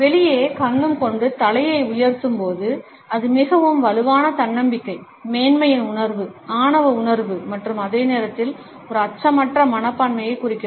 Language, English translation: Tamil, When the head is lifted high with the chin jetted out then it suggest a very strong self confidence, a feeling of superiority, a sense of arrogance even and at the same time a fearless attitude